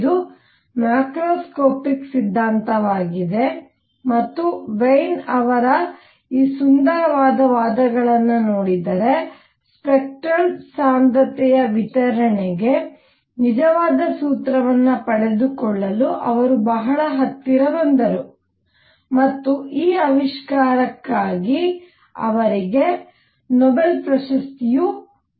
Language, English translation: Kannada, It is a macroscopic theory and let us look at these beautiful arguments by Wien and he came very very close to obtaining the true formula for the distribution of spectral density and he was actually awarded Nobel Prize for this discovery